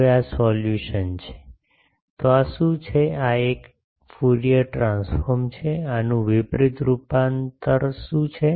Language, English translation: Gujarati, Now this is the solution, so what is the, this is a Fourier transform what is the inverse transform of this